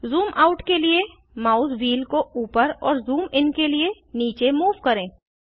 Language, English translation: Hindi, Move the mouse wheel upwards to zoom out, and downwards to zoom in